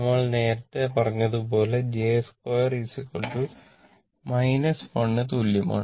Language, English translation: Malayalam, Actually hence j square is equal to minus 1